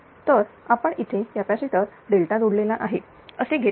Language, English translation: Marathi, So, you we are taking the capacitors are delta connected